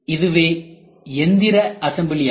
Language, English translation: Tamil, What is assembly process